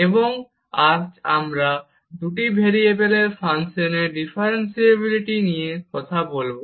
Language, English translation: Bengali, And today we will talk about again Differentiability of Functions of Two Variables